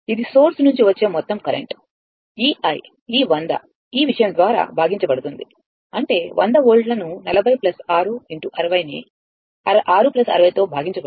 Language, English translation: Telugu, This is the total current coming from the source; this i this 100 divided by this thing; that means, 100 volt divided by 40 plus 6 into 60 divided by 6 plus 60